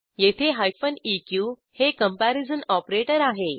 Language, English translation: Marathi, Here eq is comparison operator